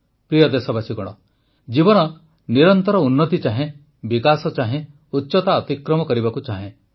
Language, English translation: Odia, life desires continuous progress, desires development, desires to surpass heights